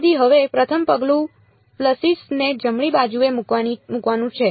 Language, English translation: Gujarati, So, now, the first step is to put the pulses in right